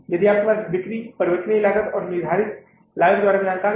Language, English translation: Hindi, If you have the information about the sales variable and the fixed cost, you can easily find out the profit